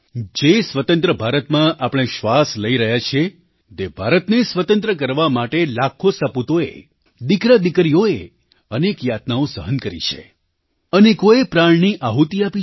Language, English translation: Gujarati, The India that we breathe freely in was liberated by millions of worthy sons and daughters who underwent numerous tortures and hardships; many even sacrificing their lives